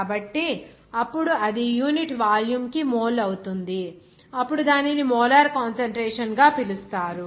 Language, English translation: Telugu, So, then it will be mole per unit volume, then simply it will be called as that molar concentration